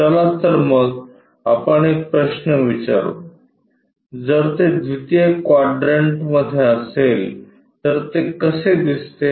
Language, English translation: Marathi, Let us ask a question, if it is in 2nd quadrant how it looks like